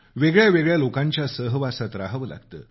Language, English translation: Marathi, They have to live amongst many different people